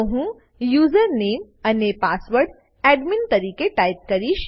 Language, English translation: Gujarati, Here we check if username and password equals admin